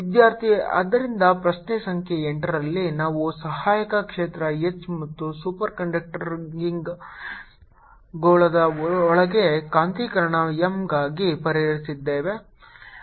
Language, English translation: Kannada, ok, so in question number eight we have solved for the auxiliary field h and the ah magnetization m inside the superconducting sphere